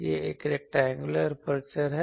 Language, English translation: Hindi, It is a rectangular aperture